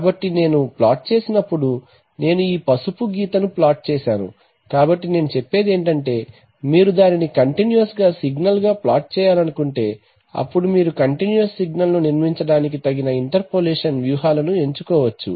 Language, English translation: Telugu, So when I will plot it I will plot this yellow line, right so what I am saying is that if you want to plot it as an, as a continuous signal then you may choose appropriate interpolation strategies for, to construct a continuous signal which will be an approximate version of the old signal